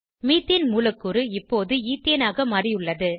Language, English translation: Tamil, Methane molecule is now converted to Ethane